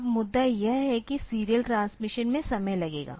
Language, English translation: Hindi, Now, the point is that serial transmission, so it will take time